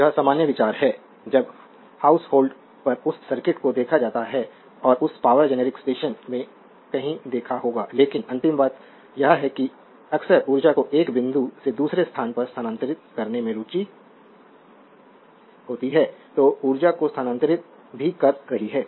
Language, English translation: Hindi, This is this is common idea you have when is look at that circuit at house hold and you might have seen somewhere in that power generic station right But ultimate thing is that you often interested in transferring energy from one point to another that is also your transferring energy